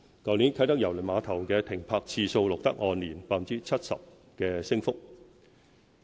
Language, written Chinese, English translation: Cantonese, 去年啟德郵輪碼頭的停泊次數錄得按年 70% 的升幅。, The number of ship calls at the Kai Tak Cruise Terminal grew by 70 % year - on - year in 2016